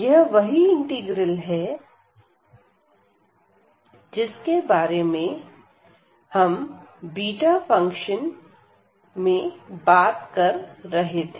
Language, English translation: Hindi, So, this is exactly the integral we are talking about in this beta